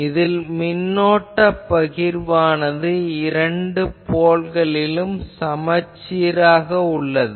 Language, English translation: Tamil, And the current distribution is symmetric in both the poles